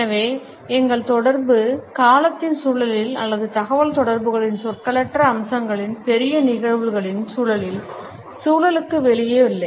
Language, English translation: Tamil, So, our communication, in the context of time or in the context of the larger phenomena of nonverbal aspects of communication, is not outside the context